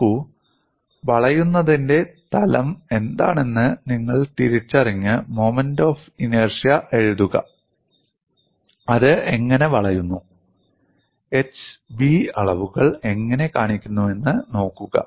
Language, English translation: Malayalam, See, you should 0020recognize what is the plane of bending and then write the moment of inertia, and look at how it bends, how the dimensions h and B are shown